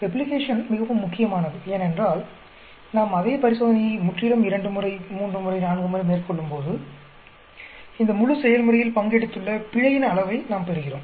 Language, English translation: Tamil, Replication is very very important because when we carry out the same experiment completely twice, thrice, four times, we get a measure of the error that is involved in the entire process